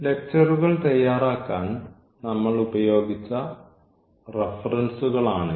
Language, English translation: Malayalam, So, these are the references we have used for preparing the lectures and